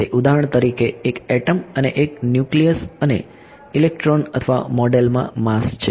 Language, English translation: Gujarati, It is for example, an atom and the nucleus and the electrons or model has the mass right